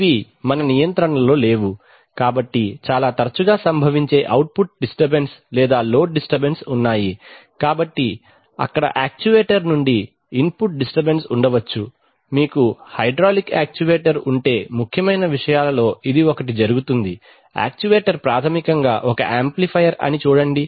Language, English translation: Telugu, Which are not in our control, so there are output disturbances or load disturbances which occur very often, there are, there could be input disturbances from the actuator for example, we shall see that if you have a hydraulic actuator then one of the main things that happens in the, see the actuator is basically an amplifier